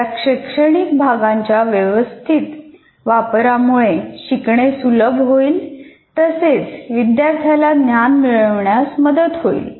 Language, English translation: Marathi, Certain use of instructional components will greatly facilitate learning or greatly facilitate the student to get engaged with the knowledge